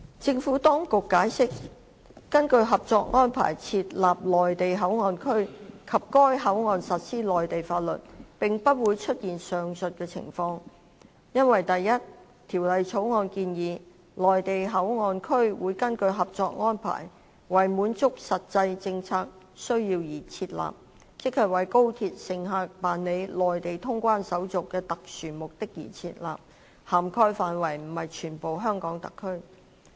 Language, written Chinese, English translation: Cantonese, 政府當局解釋，根據《合作安排》設立內地口岸區及在該口岸實施內地法律，並不會出現上述的情況，因為第一，《條例草案》建議，內地口岸區會根據《合作安排》，為滿足實際政策需要而設立，即為高鐵乘客辦理內地通關手續的特殊目的而設立，涵蓋範圍不是全香港特區。, The Administration has explained that for the following reasons the establishment of MPA and the application of Mainland laws there in accordance with the Co - operation Arrangement would not give rise to the situations as mentioned above . First it is proposed under the Bill that MPA would be established for a specific purpose to meet a real policy need namely conducting Mainland clearance procedures on high - speed rail passengers pursuant to the Co - operation Arrangement and does not extend to the entire HKSAR